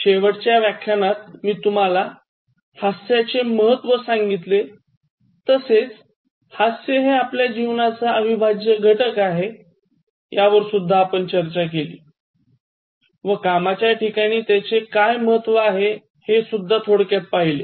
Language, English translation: Marathi, So, in the last lesson, I started discussing about the importance of laughing and living and making laughter as a part and parcel of our life and then introducing that in the work environment